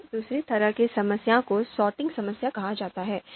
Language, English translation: Hindi, Then the second kind of problem is called a sorting problem